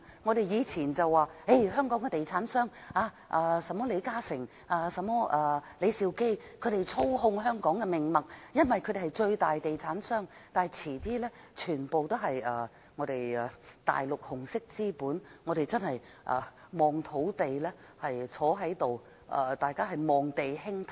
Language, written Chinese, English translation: Cantonese, 我們以前會說，香港的地產商，例如李嘉誠、李兆基等操控香港的命脈，因為他們是最大的地產商，但遲些時候便會全部由大陸紅色資本操控，屆時大家只可坐着望地興歎。, We used to say that the real estate developers in Hong Kong such as LI Ka - shing and LEE Shau - kee hold the lifeline of Hong Kong because they are the major property tycoons but some time later everything will be controlled by the red capital in the Mainland and by then we can only sit helplessly and sigh over the land